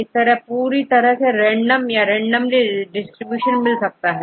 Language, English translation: Hindi, If it is completely random you get very random distribution